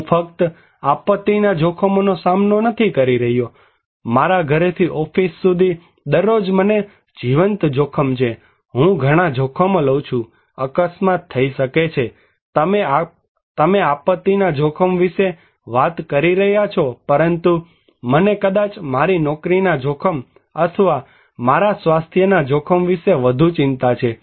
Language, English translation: Gujarati, I am not only facing disaster risk, every day is a live risk from my home to office, I take so many risks, accident can happen, you are talking about disaster risk but, I might concern is more about my job risk or my health risk, so which one I should prioritize